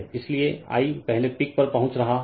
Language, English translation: Hindi, So, I is reaching the peak first right